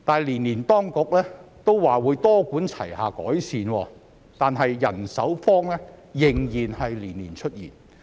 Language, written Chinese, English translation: Cantonese, 即使當局每年都表示會多管齊下改善，但人手荒仍然年年出現。, Even though the authorities have said every year that a multi - pronged approach is adopted to make improvements the shortage of manpower still occurs year after year